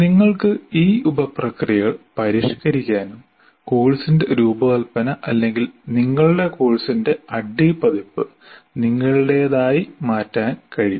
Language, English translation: Malayalam, You can also modify the sub processes and make the design of the course or the addy version of your course your own